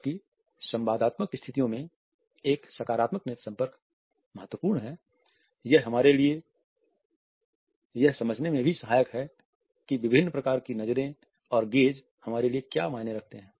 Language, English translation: Hindi, Whereas in interactive situations a positive eye contact is important, it is also helpful for us to understand what different type of glances and gazes mean to us